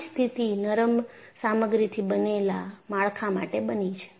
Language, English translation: Gujarati, A similar situation has happened for structures made of ductile materials